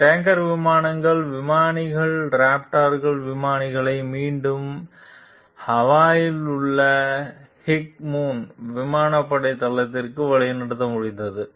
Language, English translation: Tamil, The pilots of these tanker planes were able to guide the raptor pilots back to Hickman Air Force base in Hawaii